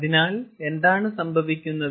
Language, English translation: Malayalam, then what happens